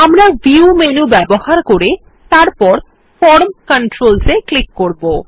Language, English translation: Bengali, We can bring it up by using the View menu and clicking on the Form Controls